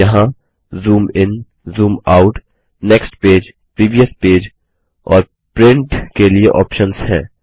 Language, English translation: Hindi, There are options to Zoom In, Zoom Out, Next page, Previous page and Print